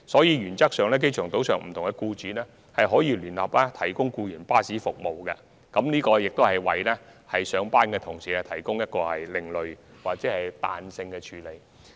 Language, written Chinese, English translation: Cantonese, 原則上，機場島上不同僱主可以聯合提供僱員服務，這是為上班僱員所作的另類或彈性安排。, In principle various employers on the airport island may jointly provide such employees services . This is an alternative or flexible arrangement for employees commuting to work